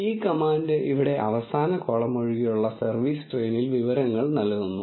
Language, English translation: Malayalam, This command here gives information in service train except the last column